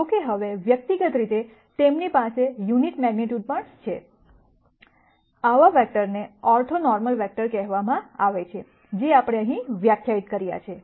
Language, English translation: Gujarati, However now individually, they also have unit magnitude such vectors are called are orthonormal vectors, that we have defined here